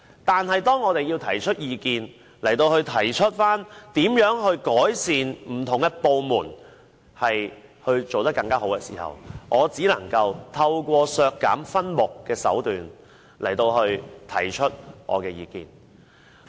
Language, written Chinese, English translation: Cantonese, 但是，當我們提出意見，提出如何改善不同部門，令他們做得更好的時候，我只能夠透過削減分目的手段來提出我的意見。, Nevertheless when we suggest how various departments can be improved so that they can do better we can only voice our views through the means of asking to deduct their expenditures in respect of the subheads concerned